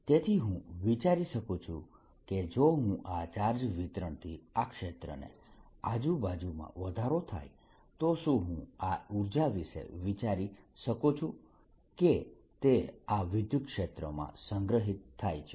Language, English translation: Gujarati, so can i think, if i am thinking of this, this ah charge distribution giving rise to this field all around it, can i think of this energy as if it has been stored in this electric field